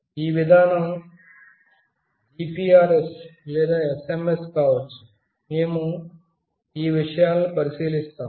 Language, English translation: Telugu, The mechanism could be GPRS or SMS, we will look into these things